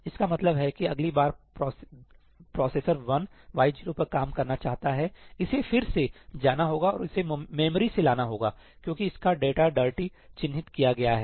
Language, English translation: Hindi, It means that the next time processor 1 wants to work on y 0, it will have to again go and fetch it from the memory because its data has been marked dirty